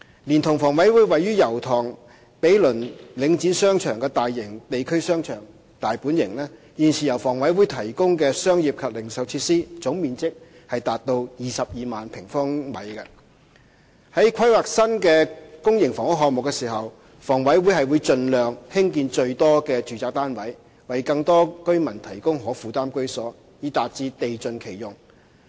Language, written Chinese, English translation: Cantonese, 連同房委會位於油塘毗鄰領展商場的大型地區商場"大本型"，現時由房委會提供的商業及零售設施總面積達到22萬平方米。在規劃新的公營房屋項目時，房委會會盡量興建最多的住宅單位，為更多居民提供可負擔居所，以達致地盡其用。, Coupled with a large shopping arcade in the district Domain which is situated adjacent to a shopping arcade under Link REIT and managed by HA the total area of commercial and retail facilities currently provided by HA has reached 220 000 sq m In planning new public housing projects HA will strive to build the largest number of residential units to provide affordable homes for more residents so as to maximize land utilization